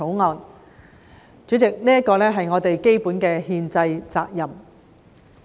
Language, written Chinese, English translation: Cantonese, 代理主席，這是我們基本的憲制責任。, Deputy President this is our fundamental constitutional responsibility